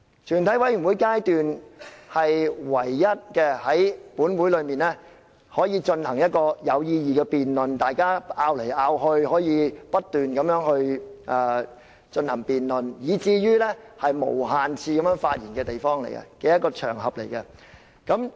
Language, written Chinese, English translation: Cantonese, 全體委員會階段是本會唯一可以進行有意義的辯論，讓大家可以互相爭論和不斷進行辯論，以及可以無限次發言的場合。, The Committee stage is the only venue where meaningful debates are conducted in the Council for Members may present their arguments and refute others arguments in the course of the continued debate during which Members are allowed to speak for unlimited times